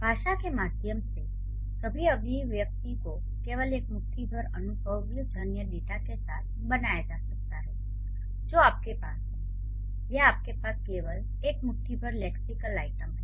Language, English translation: Hindi, So, all your expressions through the language can be created only with a handful of empirical data that you have or only a handful of lexical items that you have